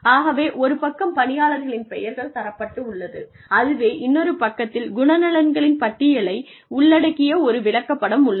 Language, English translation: Tamil, So, the names of the employees are given on one side, and the chart containing the list of traits is on the other side